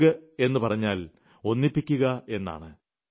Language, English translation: Malayalam, Yoga by itself means adding getting connected